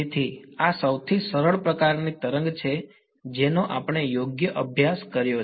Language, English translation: Gujarati, So, this is the simplest kind of wave that we have studied right